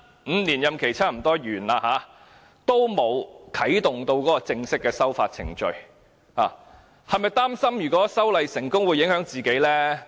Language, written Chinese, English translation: Cantonese, 五年任期差不多完結，仍然沒有啟動正式的修法程序，他是否擔心修例成功會影響自己？, With his five - year tenure almost coming to an end the legislative amendment process has yet to be initiated; is he worried that he will be affected if the amendments are made?